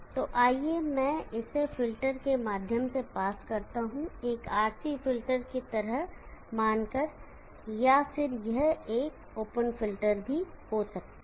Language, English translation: Hindi, Now this let be pass it through filter, imagine a RC filter, or it could be an open filter